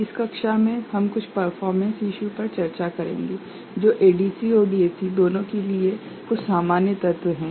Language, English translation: Hindi, In this class, we shall discuss certain performance issues, which are having some common element for both ADC and DAC